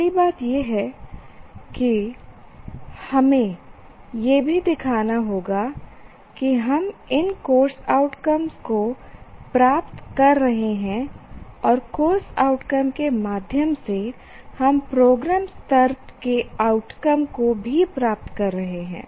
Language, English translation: Hindi, First thing is we also have to demonstrate that we are attaining this course outcomes and through these course outcomes we are also attaining the outcomes at the program level as well